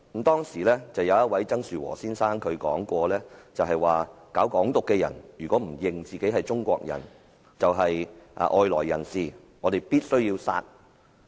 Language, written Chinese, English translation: Cantonese, 當時，有一位曾樹和先生說："搞'港獨'的人如果不認自己是中國人，就是外來人士，我們必須要殺"。, At that time a Mr TSANG Shu - wo said If those who pursue Hong Kong independence deny that they are Chinese they are foreigners . We have to kill them